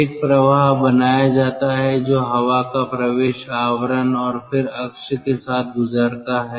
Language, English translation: Hindi, in the process, a flow is created that passes through the air intake casing and then along the axis